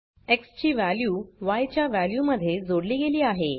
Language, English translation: Marathi, Here the value of x is added to the value of y